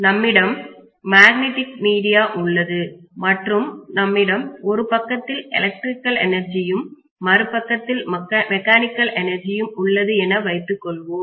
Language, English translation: Tamil, So I am going to have a magnetic via media and I am going to have on one side let us say electrical energy and I am going to have on the other side mechanical energy